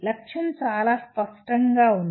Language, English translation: Telugu, The goal is very clear